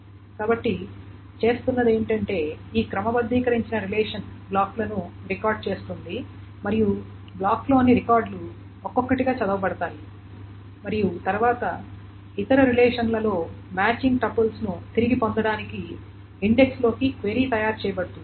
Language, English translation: Telugu, So what is being done is that this sorted relation, the records, the blocks and the records in the blocks are read one by one and then query is made into the index to retrieve the matching tuples in the other relations